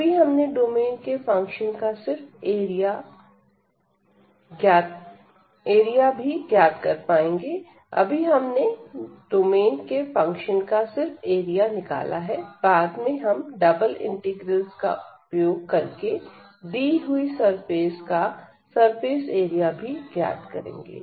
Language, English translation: Hindi, So now, we have computed only the area of the domain of the function and then, later on we can also compute the surface area of the given surface using the double integrals